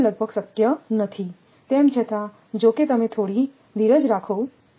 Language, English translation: Gujarati, So, it is almost not possible although; although just hold on